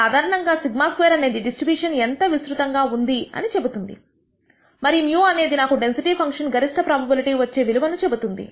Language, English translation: Telugu, Typically sigma square tells you how wide the distribution will be and mu tells me what the value is at which the density function attains the highest probability most probable value